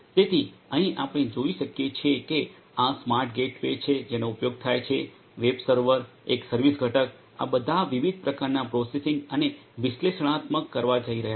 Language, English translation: Gujarati, So, here also as we can see there is this smart gateway that is used, the web server, a service component all of these are going to do different types of processing and analytics